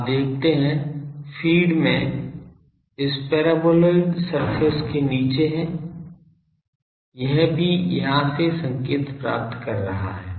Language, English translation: Hindi, You see so, feed has below this paraboloidal surface also it is receiving signals from here